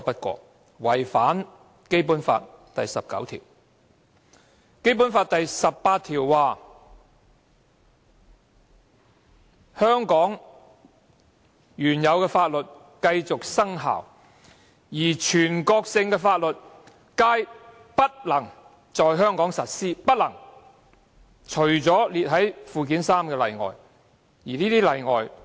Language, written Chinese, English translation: Cantonese, 《基本法》第十八條訂明，香港原有法律繼續生效，而全國性法律皆不能在香港實施，但列於附件三者除外。, Article 18 of the Basic Law stipulates that the laws previously in force in Hong Kong shall remain in force and that national laws shall not be applied in HKSAR except for those listed in Annex III to the Basic Law